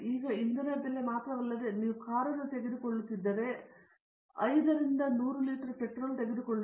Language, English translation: Kannada, Now, if it is not only fuel price, but fuel for example, if you will take a car it takes 5 to 100 liters of petrol